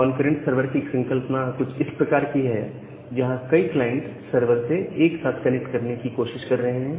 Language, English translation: Hindi, Now, the concept of concurrent sever is something like this where multiple clients are trying to connect to the server simultaneously